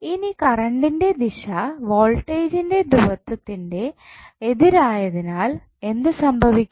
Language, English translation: Malayalam, Now, since the direction of current is opposite of the polarity of the voltage so what will happen